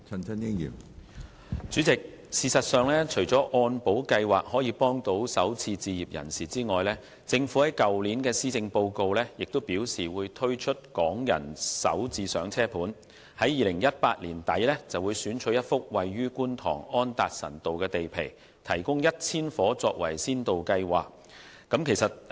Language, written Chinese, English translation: Cantonese, 主席，除了按保計劃可以幫助首次置業人士外，政府在去年的施政報告亦表示會推出"港人首置上車盤"，在2018年年底選取一幅位於觀塘安達臣道的地皮，提供1000個單位，以推行先導計劃。, President apart from MIP which can help first - time home buyers the Government also indicated in the Policy Address last year that Starter Homes for Hong Kong residents would be introduced . At the end of 2018 a site at Anderson Road would be selected to implement a pilot scheme to provide 1 000 units